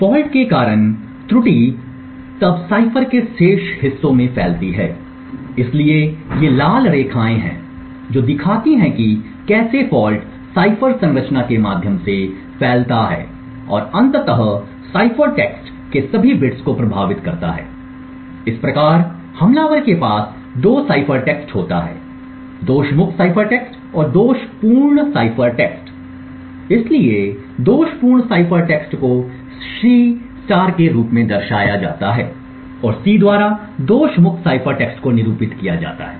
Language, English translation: Hindi, The error due to the fault then propagates to the remaining parts of the cipher, so these are red lines over here show how the fault propagates through the cipher structure and eventually effects all the bits of the cipher text thus the attacker has 2 cipher text the fault free cipher text and the faulty cipher text, so the faulty cipher text is denoted as C* and the fault free cipher text is denoted by C